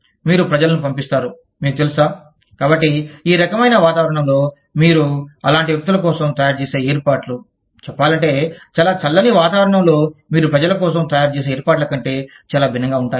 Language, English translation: Telugu, So, you send people from, you know, so, the kinds of provisions, you would make for such people in this kind of a climate, would be very different from the kind of provisions, you would make for people, in say, very cold climates